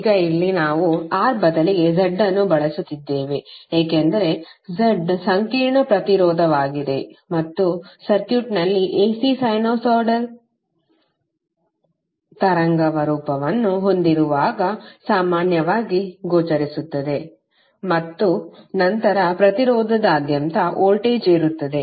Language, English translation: Kannada, Now here we are using Z instead of R, because Z is the complex impedance and is generally visible when you have the AC sinusoidal wave form in the circuit and then the voltage across the impedance